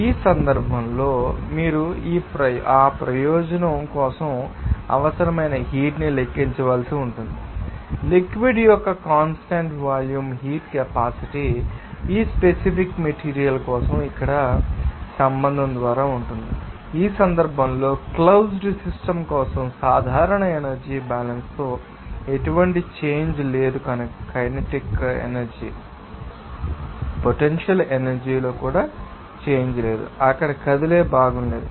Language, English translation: Telugu, In this case you have to calculate the heat required for this purpose, the constant volume heat capacity of the fluid is given by the following relation here for that particular material as for general energy balanced for closed system in this case, there is no change in kinetic energy, there is no change in potential energy also, there is no moving part there